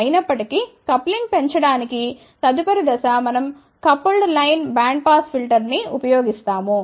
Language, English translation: Telugu, However, to increase the coupling the next step is we use coupled line band pass filter